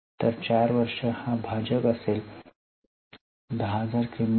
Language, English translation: Marathi, So, 4 will be our denominator